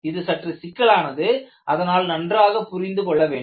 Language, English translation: Tamil, The problem is very complex and you need to understand that